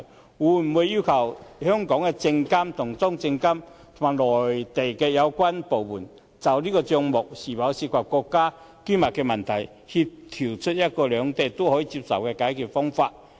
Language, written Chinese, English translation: Cantonese, 政府會否要求香港的證監會與中國證券監督管理委員會及內地有關部門就帳目是否涉及國家機密的問題，協調出一種兩地均可接受的解決方法呢？, Will the Government request SFC in Hong Kong to join hands with the China Securities Regulatory Commission CSRC and the relevant Mainland departments to coordinate a solution acceptable to both places regarding the issue of whether their accounts involve any state secrets?